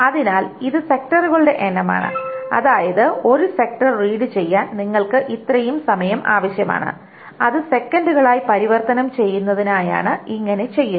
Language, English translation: Malayalam, So this is the number of sector that is where so to read one sector you require this amount of time and to convert it into seconds